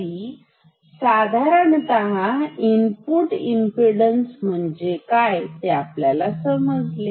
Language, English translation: Marathi, So, this is one way of defining input impedance